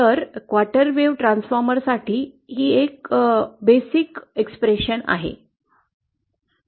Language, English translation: Marathi, So this is the basic expression for a quarter wave transformer